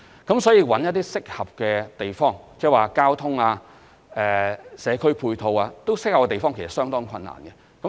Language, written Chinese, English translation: Cantonese, 如是者，要覓得合適地方或交通和社區配套均合適的地方，其實是相當困難的。, In that case I must say it is actually very difficult to identify a suitable site or a site with appropriate auxiliary transport and community facilities